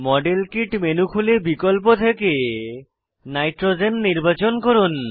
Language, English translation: Bengali, Open the modelkit menu, select nitrogen from the options